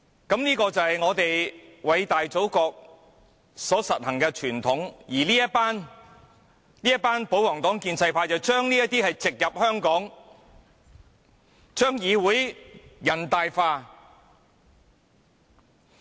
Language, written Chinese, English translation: Cantonese, 這就是我們偉大祖國所實行的傳統，而這群保皇黨、建制派議員，將這些都植入香港，將議會人大化。, This is the tradition of our great nation and the royalist camp and the pro - establishment camp are now implanting such practice into Hong Kong so as to turn our Council into another NPC